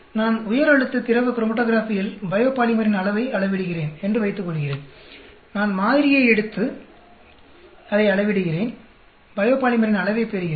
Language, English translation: Tamil, Suppose I am measuring the amount of biopolymer in a high pressure liquid chromatography, I take the sample, measure it, get the amount of biopolymer